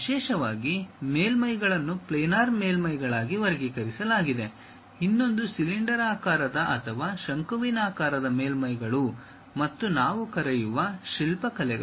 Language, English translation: Kannada, Especially, surfaces are categorized into planar surfaces, other one is cylindrical or conical surfaces and sculptured surfaces we call